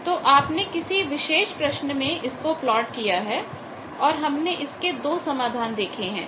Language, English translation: Hindi, So, we have plotted that in a particular problem as we have seen 2 solutions